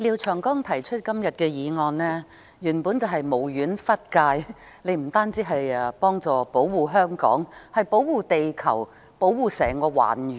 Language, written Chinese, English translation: Cantonese, 廖長江議員今天提出的原議案，本是無遠弗屆，不單要保護香港，還要保護地球，甚至整個環宇。, The original motion proposed by Mr Martin LIAO today actually has a far - flung reach in the sense that it advocates the protection of not only Hong Kongs environment but also the earth and the entire universe